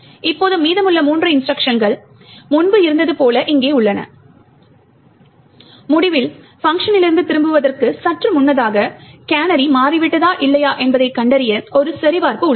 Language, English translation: Tamil, Now we have the rest of three instructions as was here before and at the end just before the return from the function there is a check which is done to detect whether the canary has changed or not